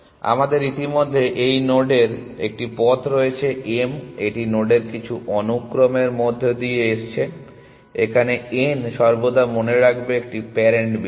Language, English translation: Bengali, We already have a path to this node m it is coming through some sequence of nodes n always remember is a parent point